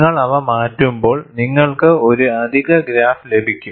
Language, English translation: Malayalam, When you change them, you will get one additional graph